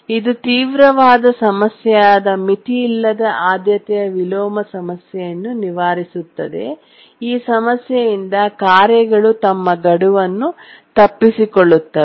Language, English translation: Kannada, It does overcome the unbounded priority inversion problem which is a severe problem can cause tasks to miss their deadline